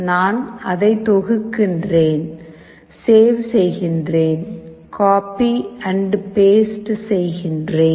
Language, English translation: Tamil, We compile it, we save it, copy and paste